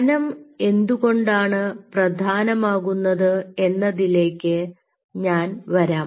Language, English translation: Malayalam, i will come why that thickness is important